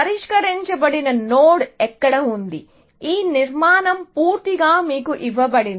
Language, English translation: Telugu, A solved node is where; this structure is entirely given to you, essentially